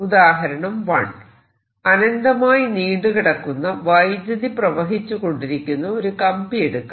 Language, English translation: Malayalam, example one: i will take: a straight current carrying wire of infinite length